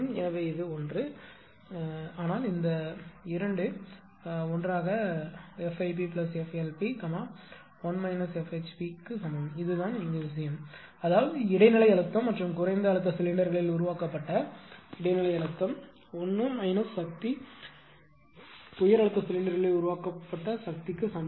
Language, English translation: Tamil, So, this is 1 but these 2 together your F IP plus F LP is equal to 1 minus F HP right this is the thing so; that means, intermediate pressure fractional power developed in the intermediate pressure and low pressure cylinders is equal to 1 minus the power developed in the high pressure cylinder